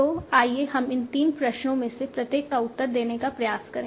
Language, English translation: Hindi, So let us try to answer each of these three questions